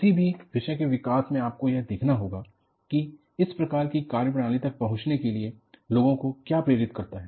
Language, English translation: Hindi, In any subject development, you have to look at, what prompted the people, to arrive at this kind of a methodology